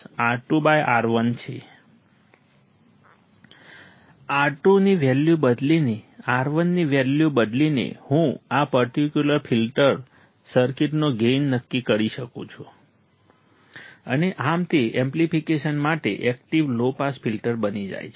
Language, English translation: Gujarati, By changing the value of R2 and by changing the value of R1, I can decide the gain of this particular filter circuit, and thus it becomes active low pass filter with amplification